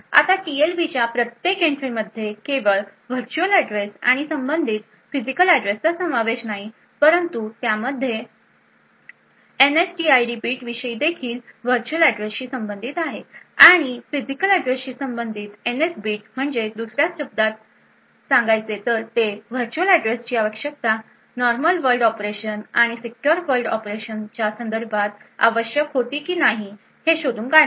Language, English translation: Marathi, Now in an ARM processor which is enabled with the Trustzone the TLB is modified a bit now each entry of the TLB not only comprises of the virtual address and the corresponding physical address but also has details about the NSTID bit corresponding to the virtual address and the NS bit corresponding to the physical address so in other words it will identify whether the virtual address was need with respect to a normal world operation or the secure world operation